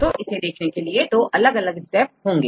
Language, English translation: Hindi, So, how to do that this involves two different steps